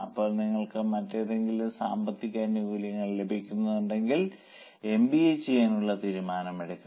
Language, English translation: Malayalam, Now, if you are getting commensurate benefit, you should take a decision to do MBA